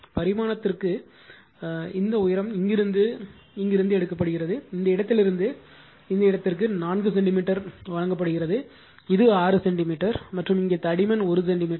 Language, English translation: Tamil, The dimension is given this height from here to here it is given 4 centimeter from this point to this point it is given 6 centimeter and here the thickness is 1 centimeter